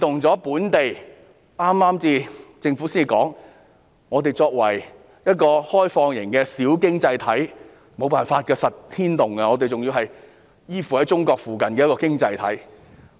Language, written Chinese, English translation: Cantonese, 政府早前表示，香港作為一個開放型小經濟體，無法不被牽動，我們仍然是一個依附在中國附近的經濟體。, The Government said earlier that Hong Kong being an open and small economy cannot avoid being affected and Hong Kong is still an economy dependant on China